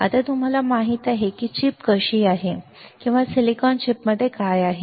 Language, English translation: Marathi, Now, you know that how this how this chip or what is there within the silicon chip